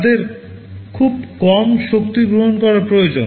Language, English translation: Bengali, They need to consume very low power